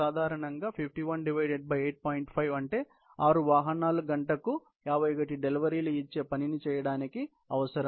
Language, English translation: Telugu, 5 is about 6 vehicles would be needed to do this job of given 51 deliveries per hour